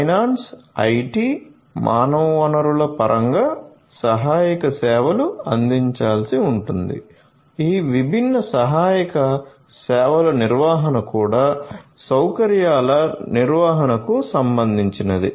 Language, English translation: Telugu, of finance, IT, human resources, management of all of these different support services is also of concern of facility management